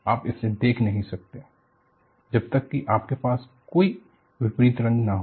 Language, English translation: Hindi, You cannot view it, unless you have a contrast in color